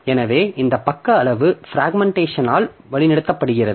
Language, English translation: Tamil, So, this page size is guided by this fragmentation